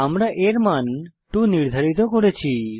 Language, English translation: Bengali, And here we have two values